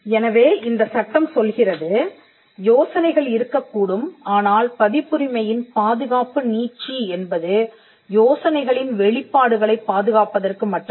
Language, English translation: Tamil, Now, this tells us that there could be ideas, but the scope of the copyright is only for the protection of the idea